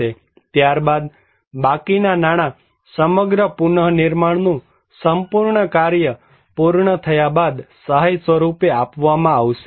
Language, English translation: Gujarati, Then, the rest of the money will be delivered the assistance after the completion of the entire reconstruction